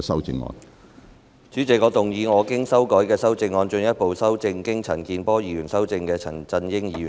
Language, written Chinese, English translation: Cantonese, 主席，我動議我經修改的修正案，進一步修正經陳健波議員修正的陳振英議員議案。, President I move that Mr CHAN Chun - yings motion as amended by Mr CHAN Kin - por be further amended by my revised amendment